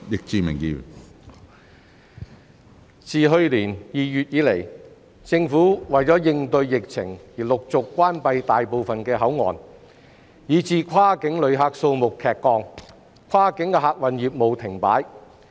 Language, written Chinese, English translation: Cantonese, 自去年2月以來，政府為應對疫情而陸續關閉大部分口岸，以致跨境旅客數目劇降，跨境客運業務停擺。, Since February last year the Government has closed most of the boundary control points one after another to cope with the epidemic resulting in the number of cross - boundary travellers plunging and cross - boundary passenger service business coming to a standstill